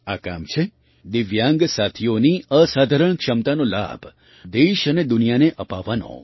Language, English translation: Gujarati, It has served to bring the benefit of the extraordinary abilities of the Divyang friends to the country and the world